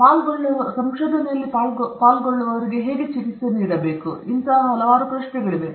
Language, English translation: Kannada, There are a set of questions which deal with how to treat the participants in research